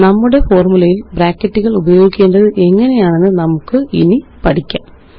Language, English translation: Malayalam, Let us now learn how to use Brackets in our formulae